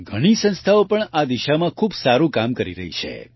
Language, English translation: Gujarati, Many institutes are also doing very good work in this direction